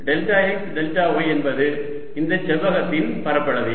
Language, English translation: Tamil, what is delta x, delta y, delta x, delta y is nothing but the area of this small rectangle